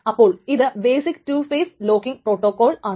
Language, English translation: Malayalam, So that is the strict two phase locking protocol